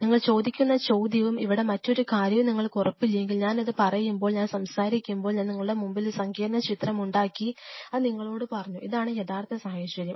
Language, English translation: Malayalam, Unless you are sure the question you are asking and another thing here, when I talk about when I was telling this, this one I made this complex picture in front of you I told you this is this is the real situation